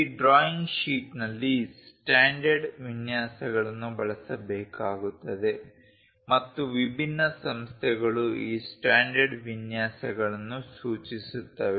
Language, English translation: Kannada, In this drawing sheet layout standard layouts has to be used and these standard layouts are basically specified by different organizations